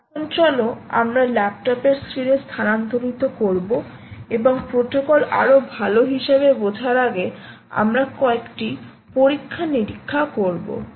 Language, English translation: Bengali, so now lets shift to the laptop screen and do a few experiments before we move on to understand this protocol even better as we go along